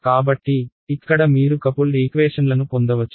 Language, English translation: Telugu, So, that is so here you get coupled equations ok